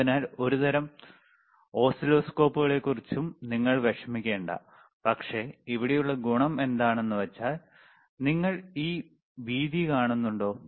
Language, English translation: Malayalam, So, so do n ot worry about the about the kind of oscilloscopes, but, but the advantage here is, if I, if you can just zoom that is good